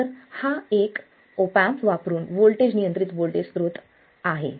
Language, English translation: Marathi, So this is the current control voltage source using an op amp